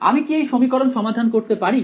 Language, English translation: Bengali, Can I solve this equation